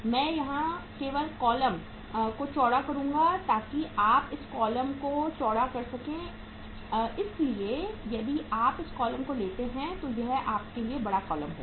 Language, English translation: Hindi, I will just widen the column here so you can uh widen the column here so if you take this column this is going to be the bigger column for us